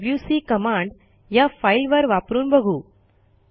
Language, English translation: Marathi, Now let us use the wc command on this file